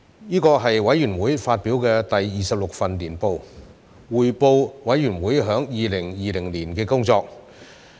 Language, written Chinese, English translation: Cantonese, 這是委員會發表的第二十六份年報，匯報委員會在2020年的工作。, This is the 26th annual report of the Committee which provides an account of our work for the year 2020